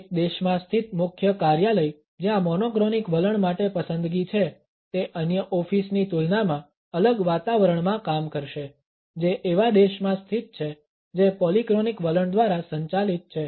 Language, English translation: Gujarati, A head office situated in a country where the preferences for monochronic attitudes would work in a different atmosphere in comparison to another office which is situated in a country which is governed by the polychronic attitude